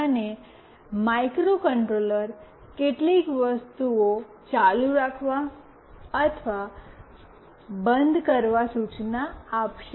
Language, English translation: Gujarati, And the microcontroller will instruct to do certain things, either ON or OFF